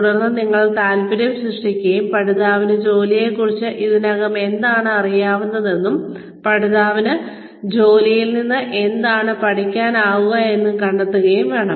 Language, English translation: Malayalam, Then, you should also create an interest and find out, what the learner already knows about the job, and what the learner can learn from the job